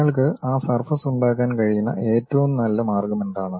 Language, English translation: Malayalam, What is the best way one can really have that surface